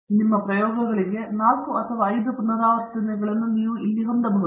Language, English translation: Kannada, So, you here you can have 4 or 5 repeats for your experiments